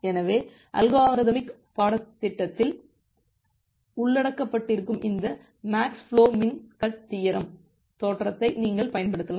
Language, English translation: Tamil, So, you can apply this max flow min cut theorem which is being covered in the algorithmic course